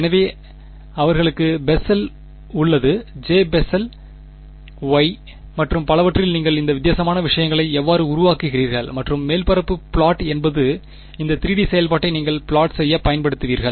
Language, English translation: Tamil, So, they have Bessel J, Bessel Y and so on that is how you generate this different things and the surface plot is what you will used to plot this 3 D function ok